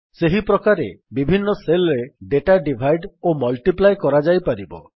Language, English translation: Odia, Similarly, one can divide and multiply data in different cells